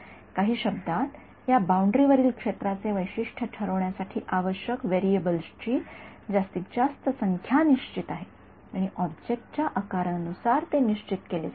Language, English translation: Marathi, In some in other words the number of variables the maximum number of variables required to characterize the field on this boundary is fixed and it is fixed by something that is determined by the size of the object